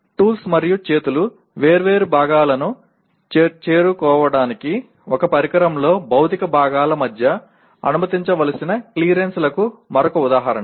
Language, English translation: Telugu, Another example the clearances that must be allowed between physical parts in an equipment for tools and hands to reach different parts